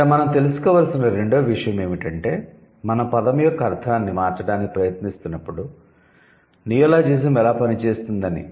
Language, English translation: Telugu, Then the second thing is how neologism works when you are trying to change the meaning of the word